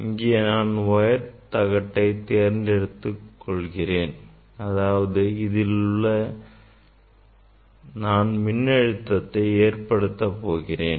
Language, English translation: Tamil, this are y direction, Y plate I am choosing here ok; that means, I will apply voltage to the Y plate